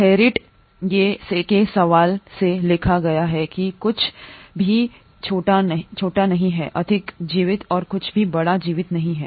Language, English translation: Hindi, Theriot that ÒNothing which is smaller is more alive and nothing bigger is more alive